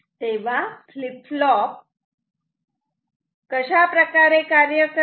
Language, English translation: Marathi, So, this is how this flip flop behaves